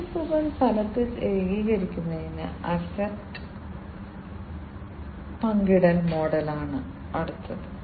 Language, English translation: Malayalam, The next one is the asset sharing model, where the businesses virtually consolidate